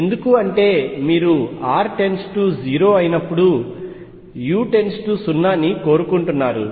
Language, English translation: Telugu, Why is that because you want u to be go into 0 as r tends to 0